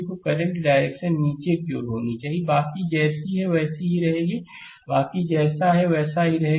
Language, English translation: Hindi, So, current direction should be downward, rest will remain same as it is; rest will remain same as it is right